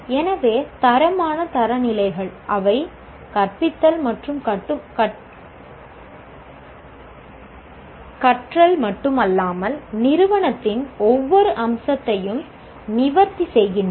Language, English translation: Tamil, So, quality standards they address not only the teaching and learning but also every facet of the institute